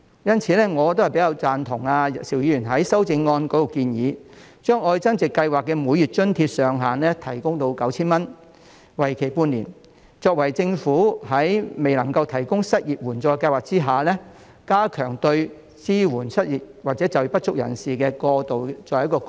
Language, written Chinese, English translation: Cantonese, 因此，我比較贊同邵議員在修正案中的建議，將"特別.愛增值"計劃的每月津貼上限提高至 9,000 元，為期半年，作為政府在未能夠提供失業援助計劃下，加強支援失業或就業不足人士的過渡措施。, Therefore I agree with the proposal in Mr SHIUs amendment to raise the maximum monthly allowance under the Love Upgrading Special Scheme to 9,000 for a period of half a year as a transitional measure to strengthen support for the unemployed or underemployed when the Government is unable to put in place an unemployment assistance scheme